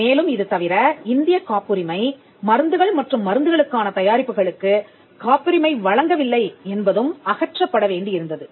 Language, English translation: Tamil, So, apart from this, the fact that the Indian patent regime did not grant product patents for drugs and pharmaceuticals was also to be done away with